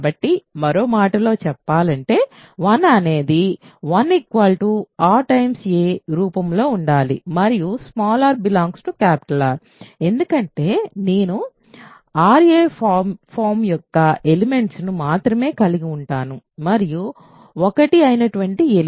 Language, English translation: Telugu, So, in other words 1 has to be of the form r a for some r right, because I only consists of elements of the form ra and 1 is one such element